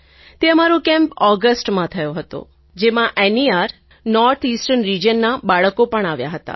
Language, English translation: Gujarati, This camp was held in August and had children from the North Eastern Region, NER too